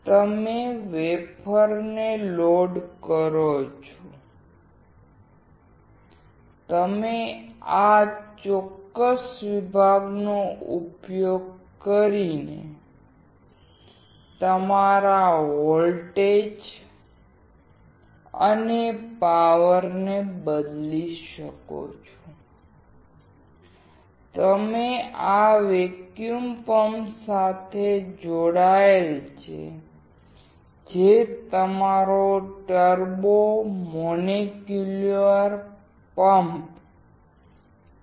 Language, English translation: Gujarati, You load the wafer and you can change your voltage and power using this particular section and this is connected to the vacuum pump, which is your turbo molecular pump